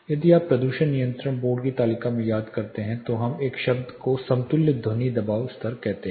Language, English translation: Hindi, If you recollect in the pollution control board table we refer to a term called equivalent sound pressure level